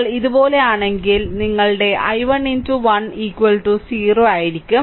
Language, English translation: Malayalam, And if you come like this plus, your i 1 into 1 is equal to 0 right